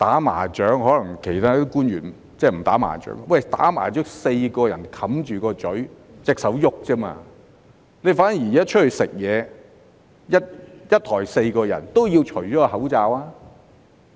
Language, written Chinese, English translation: Cantonese, 官員可能不"打麻將"，"打麻將"是4個人戴上口罩，只有雙手在活動，反而外出用餐，一枱4人都要除下口罩。, Public officials may not play mahjong . When playing mahjong the four players will wear face masks and move their hands only . But if four people eat together at a table in a restaurant they must remove their face masks